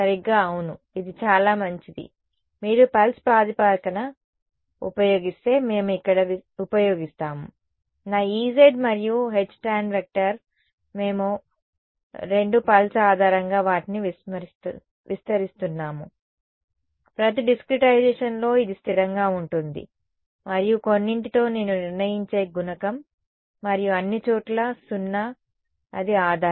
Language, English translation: Telugu, Exactly yeah that is a good that is exactly the observation will use here we if you use a pulse basis then my E z and H tan we are both expanding them on a pulse basis in each discretization of the boundary it is constant and with some coefficient which I will determine and zero everywhere else that is the basis right